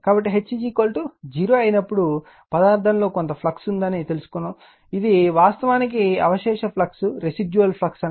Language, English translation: Telugu, So, you will find when H is equal to 0, some flux will be there in the material, this is actually call residual flux right